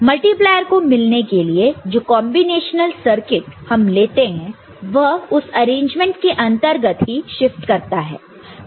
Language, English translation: Hindi, And the combinatorial circuit to get multiplier performs that shift within the arrangement ok